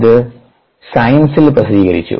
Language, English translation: Malayalam, this is publishing science